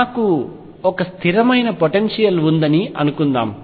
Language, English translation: Telugu, Suppose I have a potential which is constant